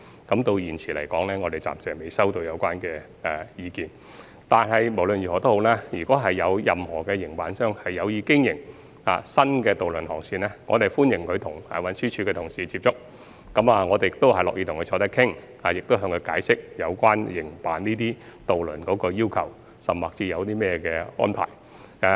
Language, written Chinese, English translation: Cantonese, 我們至今暫時未接獲有關意見，但無論如何，如果有任何營辦商有意經營新的渡輪航線，我們歡迎他們接觸運輸署的同事，運輸署的同事亦樂意與他們坐下來商討，並會解釋營辦有關航線的要求或安排。, So far we have not received any relevant views . But anyway any operators that are interested in operating new ferry routes are welcome to approach TD staff . TD staff will be willing to sit down and hold discussions with them for the purpose of explaining the requirements or arrangements for operating the relevant routes